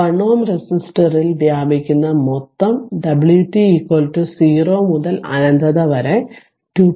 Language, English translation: Malayalam, So, total energy dissipated in the 1 ohm resistor is that w t is equal to 0 to infinity 2